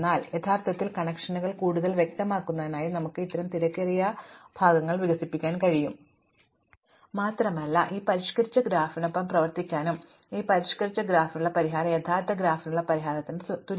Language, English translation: Malayalam, For instance we can expand out these kinds of crowded portions to make the connections more obvious and we can work with this modified graph and the solution to this modified graph is exactly the same as the solution to the original graph, the problem does not change